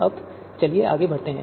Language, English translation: Hindi, Now let us move forward